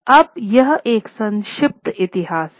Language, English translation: Hindi, Now this is a brief history